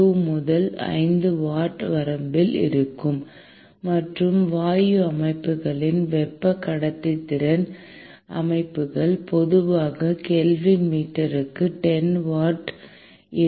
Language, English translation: Tamil, 2 to 5 watt per meter Kelvin and the thermal conductivity of gas systems, solid systems is typically 10 watt per meter Kelvin